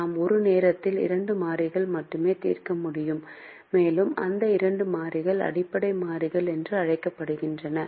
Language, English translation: Tamil, we can only solve for two variables at a time, and those two variables we are going to solve are called basic variables